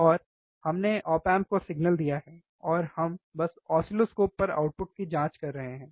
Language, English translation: Hindi, And we have given the signal to the op amp, and we are just checking the output on the oscilloscope